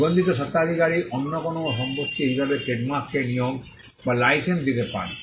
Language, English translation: Bengali, The registered proprietor may assign or license the trademark as any other property